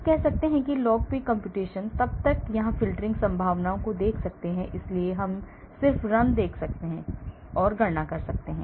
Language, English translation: Hindi, We can say log P computation then we can look at filtering possibilities here , so, we can see just run, so it calculates